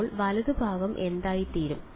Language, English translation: Malayalam, So, what will the right hand side become